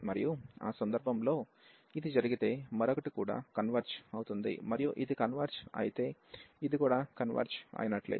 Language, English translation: Telugu, And in that case, we can conclude easily that if this converges the other one will also converge and if this converge this was also converge